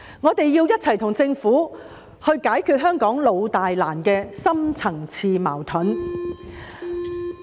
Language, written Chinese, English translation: Cantonese, 我們要與政府一起解決香港"老大難"的深層次矛盾。, We should work with the Government to tackle the long - standing and major deep - rooted conflicts in Hong Kong which are difficult to resolve